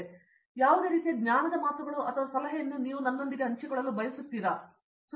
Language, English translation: Kannada, Do you have any kind of you know words of wisdom or advice that you would like to share with me